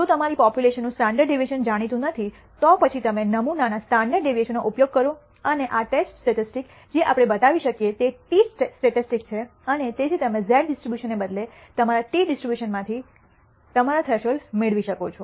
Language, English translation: Gujarati, In case your standard deviation of the population is not known, then you use the sample standard deviation and this test statistic we can show is a t statistic and therefore, you can derive your thresholds from your t distribution rather than the z distribution